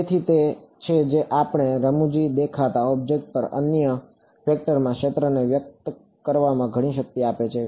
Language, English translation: Gujarati, So, that is that is what is giving a lot of power in expressing the field in other vector over any funny looking object ok